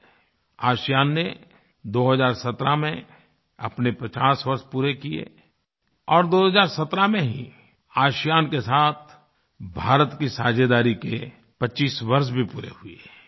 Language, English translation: Hindi, ASEAN completed its 50 years of formation in 2017 and in 2017 25 years of India's partnership with ASEAN were completed